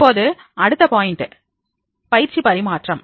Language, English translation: Tamil, Now the next point is that is a training transfer